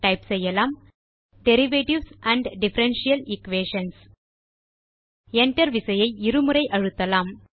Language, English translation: Tamil, Now type Derivatives and Differential Equations: and press the Enter key twice